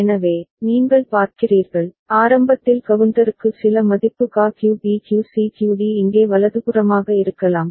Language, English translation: Tamil, So, you see, initially the counter may have some value QA QB QC QD over here by right